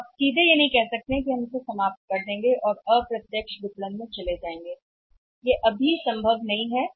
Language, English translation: Hindi, So, you cannot straight away say that we will dismantle it and move to the indirect marketing that is also not possible